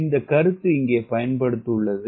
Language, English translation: Tamil, that consit has been used here